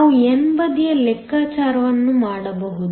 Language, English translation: Kannada, We can do the calculation for the n side